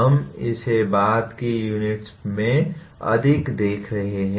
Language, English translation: Hindi, We will be seeing more of this in later units